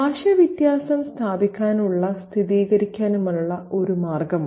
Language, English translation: Malayalam, Language is one of the ways through which difference can be asserted and affirmed